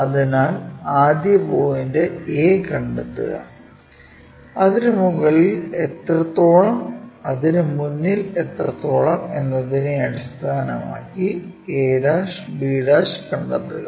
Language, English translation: Malayalam, So, locate first point a based on how much in front how muchabove that, locate a', locate b'